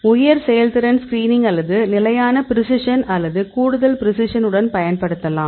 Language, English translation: Tamil, You can use the high throughput screening or with the standard precision and the extra precision